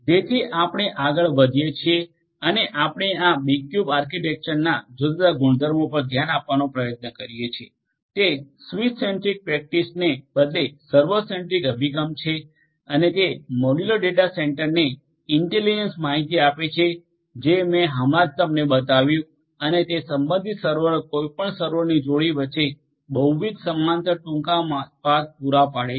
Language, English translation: Gujarati, So, we proceed further and we try to have a look at the different properties of the B cube architecture it is a server centric approach rather than a switch centric practice and it places the intelligence on the modular data centre that I just showed you and it is corresponding servers provides multiple parallel short paths between any pair of servers